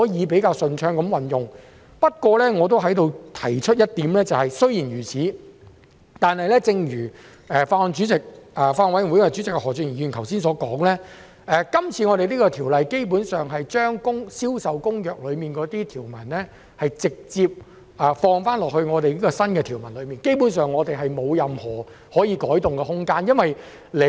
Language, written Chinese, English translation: Cantonese, 不過，我亦在此提出一點，雖然如此，但正如法案委員會主席何俊賢議員剛才所說，今次《條例草案》是將《銷售公約》的條文直接納入新條文內，基本上我們沒有任何可以改動的空間。, However I would like to raise one point here . Notwithstanding the above as Mr Steven HO Chairman of the Bills Committee mentioned just now the current bill adopts a direct incorporation of the provisions of CISG